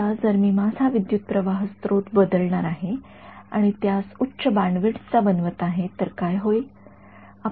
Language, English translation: Marathi, Now if I am going to change my current source and make it to have higher bandwidth what will happen